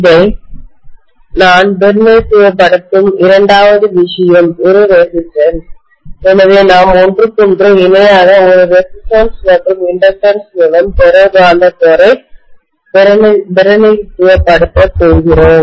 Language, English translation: Tamil, The second thing I would represent this by is a resistance, so we are going to represent the ferromagnetic core by a resistance and inductance in parallel with each other